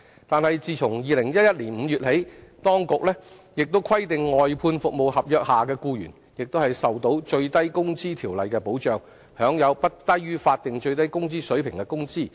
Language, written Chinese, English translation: Cantonese, 但自2011年5月起，當局亦規定外判服務合約下的僱員亦受到《最低工資條例》的保障，享有不低於法定最低工資水平的工資。, But since May 2011 employees under outsourced service contracts are also covered by the Minimum Wage Ordinance and entitled to wages no less than the statutory minimum wage level